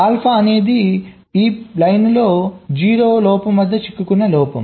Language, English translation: Telugu, alpha is the fault which is a stuck at zero fault on this line